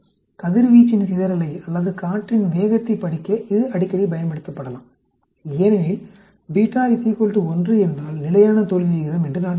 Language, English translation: Tamil, It can be used frequently used to study the scattering of radiation or wind speed because I said if beta is equal to 1 constant failure rate